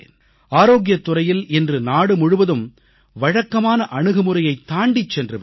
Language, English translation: Tamil, In the health sector the nation has now moved ahead from the conventional approach